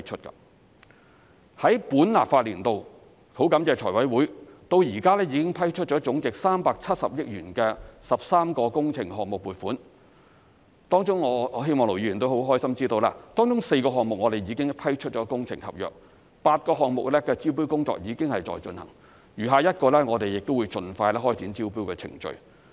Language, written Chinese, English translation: Cantonese, 在本立法年度，感謝財務委員會，至今已批出總值370億元的13個工程項目撥款，當中我希望盧議員亦會高興知道，當中4個項目已批出工程合約 ，8 個項目的招標工作正在進行，餘下1個亦會盡快開展招標程序。, In the current legislative session thanks to the Finance Committee funding for 13 works projects amounting to 37 billion in total has been approved so far . I hope Ir Dr LO would be happy to know that works contracts for four projects have been awarded tenders for eight projects have been invited and the tendering process of the remaining one will commence as soon as possible